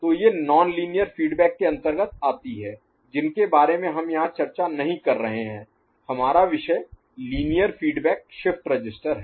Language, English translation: Hindi, So, these are the things that come under non linear feedback which we are not discussing here; our topic is Linear Feedback Shift Register